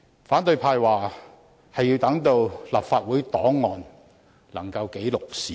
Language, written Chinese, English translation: Cantonese, 反對派說他們是要讓立法會檔案記錄事件。, The opposition Members said they wanted to put the incident on the record of the Legislative Council